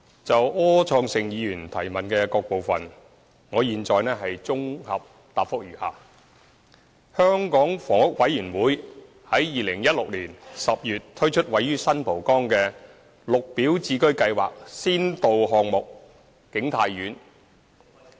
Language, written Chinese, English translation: Cantonese, 就柯創盛議員質詢的各部分，我現在綜合答覆如下：香港房屋委員會於2016年10月推出位於新蒲崗的"綠表置居計劃"先導項目景泰苑。, My consolidated reply to the various parts of the question raised by Mr Wilson OR is as follows The Hong Kong Housing Authority HA launched the Green Form Subsidised Home Ownership Scheme GSH pilot project in San Po Kong―King Tai Court in October 2016